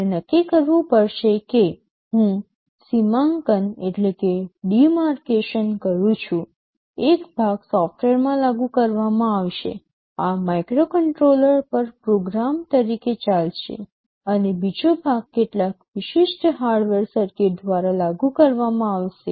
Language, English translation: Gujarati, You will have to decide that well I make a demarcation, one of the parts will be implemented in software, this will be running as a program on a microcontroller, and the other part will be implemented by some specialized hardware circuit